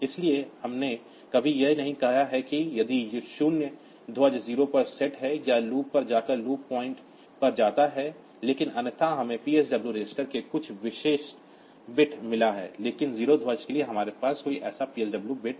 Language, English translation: Hindi, So, we have never said that if the 0 flag is set go to 0 or go to the loop go to the loop point, but otherwise so other flags carry etcetera so we have got some specific bit in the PSW register, but for 0 flag we do not have any such PSW bit